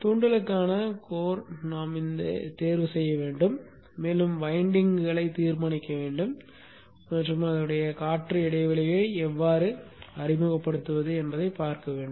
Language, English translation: Tamil, We need to choose the core for the inductor and we need to determine the windings and see how to introduce the air gap